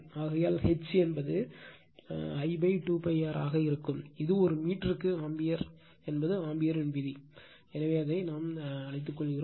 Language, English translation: Tamil, Therefore, H is equal to it will be I upon 2 pi r, it is ampere per meter is Ampere’s law right so, let me clear it